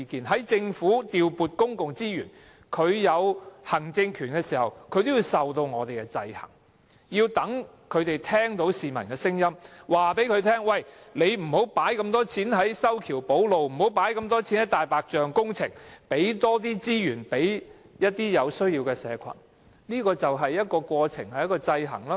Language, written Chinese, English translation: Cantonese, 在政府調撥公共資源，行使行政權時，也要受到我們的制衡，令他們聽到市民的聲音，希望他們不要投放那麼多錢在修橋補路或"大白象"工程上，而要投放更多資源予有需要的社群，這便是一個制衡過程。, The Government is subject to our checks and balances when appropriating public resources and exercising its executive power so that they will hear voices of the people who may wish to have more resources spent on the needy in society but not so much on infrastructure or white elephant projects . This is a process of checks and balances